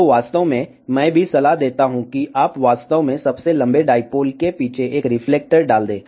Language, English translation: Hindi, So, in fact, I too recommend that you actually put one reflector behind the longest dipole, so that this whole gain curve will improve